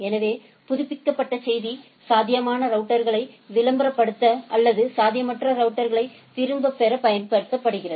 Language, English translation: Tamil, So, update message is used to advertise feasible routers to or withdraw infeasible routers